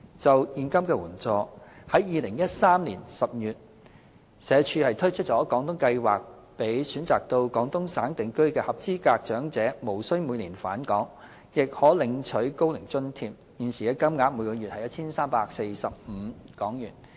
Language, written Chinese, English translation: Cantonese, 就現金援助，在2013年10月，社署推出"廣東計劃"，讓選擇到廣東省定居的合資格長者，無須每年返港，亦可領取高齡津貼，現時金額為每月 1,345 港元。, Regarding cash assistance SWD introduced the Guangdong Scheme under the Social Security Allowance Scheme in October 2013 to enable eligible Hong Kong elderly persons who choose to reside in Guangdong to receive the Old Age Allowance OAA currently at HK1,345 per month without having to return to Hong Kong every year